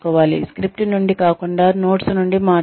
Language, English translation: Telugu, Talk from notes, rather than from a script